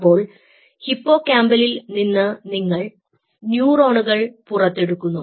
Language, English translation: Malayalam, ok, so from the hippocampus you take out the neurons